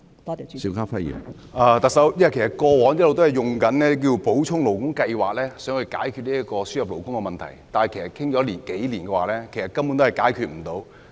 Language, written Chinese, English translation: Cantonese, 特首，其實過往一直也是以補充勞工計劃來解決輸入勞工問題，但說了數年也未能解決問題。, Chief Executive actually the Government has all along used the Supplementary Labour Scheme to address the issue of labour importation but although this has been discussed for several years the problem remains not resolved